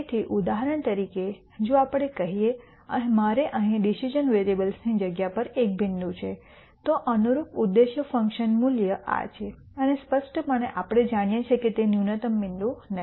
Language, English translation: Gujarati, So, for example, if let us say I have a point here on the space of the decision variables then the corresponding objective function value is this and clearly we know that that is not the minimum point